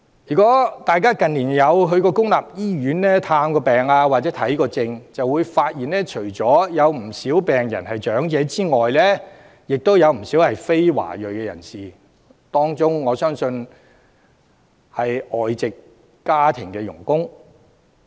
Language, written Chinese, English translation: Cantonese, 如果大家近年曾前往公立醫院探病或看病便會發現，病人除了有不少是長者外，亦有不少是非華裔人士，我相信當中有很多是外籍家庭傭工。, If you have visited patients or doctors in public hospitals in recent years you should have noticed a number of non - Chinese apart from elderly persons among the patients . I believe many of them are foreign domestic helpers